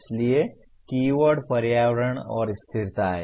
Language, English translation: Hindi, So the keywords are environment and sustainability